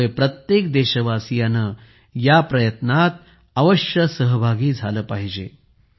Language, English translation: Marathi, Hence, every countryman must join in these efforts